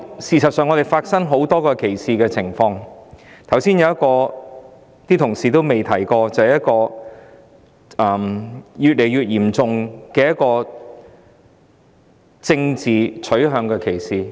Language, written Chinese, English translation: Cantonese, 事實上，香港發生很多歧視情況，其中一個同事未有提及的情況，就是越來越嚴重的政治傾向歧視。, In fact many incidents of discrimination have taken place in Hong Kong . One type of discrimination which has not been mentioned by colleagues is discrimination on the ground of political orientation which is increasingly serious